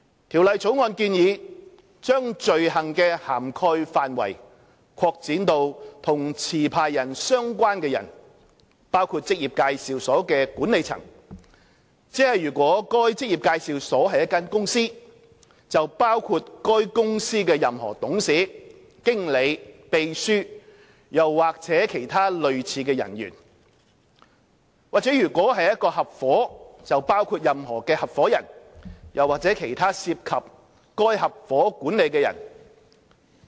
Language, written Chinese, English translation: Cantonese, 《條例草案》建議把罪行的涵蓋範圍擴展至與持牌人相關的人，包括職業介紹所的管理層，即如該職業介紹所是一間公司，則包括該公司任何董事、經理、秘書或其他類似人員；或如是一個合夥，則包括任何合夥人或其他涉及該合夥管理的人。, The Bill proposes to extend the scope of the offence to cover certain persons associated with the licensee including the management of EAs that is to say in the case of an EA being a company any director manager secretary or other similar officer of the company; or in the case of an EA being a partnership any partner and any other person concerned in the management of the partnership